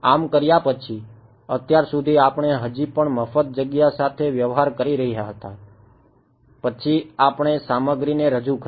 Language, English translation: Gujarati, After having done that so, far we were still dealing with free space then we introduced materials right